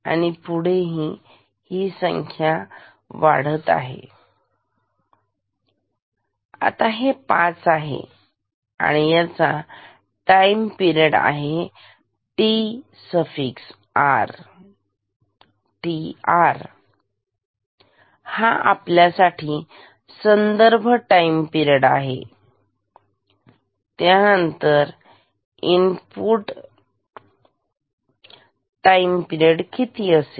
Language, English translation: Marathi, So, count is equal to 5 and if this time period is tr; this is reference time period, then input time period is how much